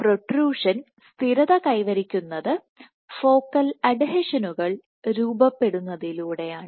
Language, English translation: Malayalam, So, stabilization of protrusion by formation of focal adhesions